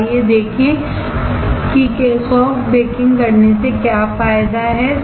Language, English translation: Hindi, So, let us see what is the advantage of doing soft baking